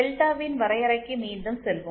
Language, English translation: Tamil, And let us go back to the definition of delta